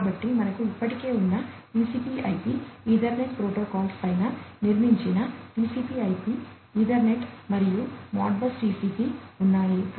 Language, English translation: Telugu, So, you have TCP/IP Ethernet and Modbus TCP built on top of the existing TCP IP Ethernet protocols